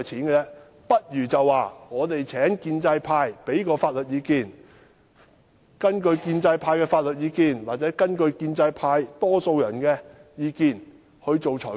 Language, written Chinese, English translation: Cantonese, 他倒不如說請建制派提供法律意見，然後根據這些法律意見或建制派多數人的意見作出裁決。, He might as well request the pro - establishment camp to provide legal advice and then make rulings having regard to the legal advice given or the opinion of the majority of the pro - establishment Members